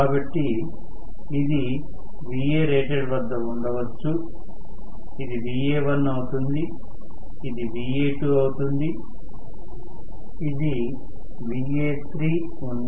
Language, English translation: Telugu, So, may be this is at Va rated, this is at Va1, this is at Va2, this is at Va3